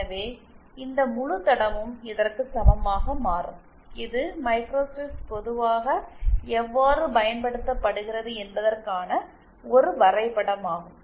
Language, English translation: Tamil, So, this entire line becomes equivalent to our this and this is one diagram of how microstrips are used commonly